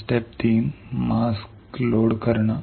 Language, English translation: Marathi, Step three load mask